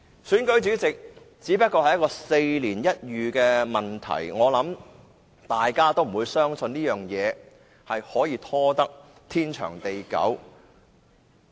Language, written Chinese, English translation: Cantonese, 選舉主席只不過是4年一遇的問題，相信這個問題也不會拖至天長地久。, The election of the President of the Legislative Council is only held once every four years and I believe this problem will not be postponed endlessly